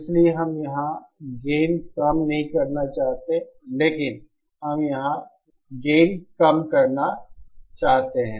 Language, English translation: Hindi, So we donÕt want to reduce the gain here, but we want to reduce the gain here